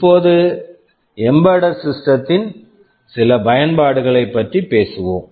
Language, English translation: Tamil, Talking about embedded systems again, what are these embedded systems